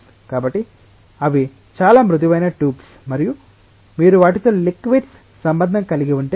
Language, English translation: Telugu, So, those are very smooth tubes and if you are having liquids in contact with them